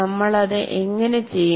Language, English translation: Malayalam, How do we do it